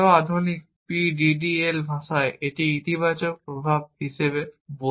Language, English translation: Bengali, In the more modern PDDL language, I would call this as positive effects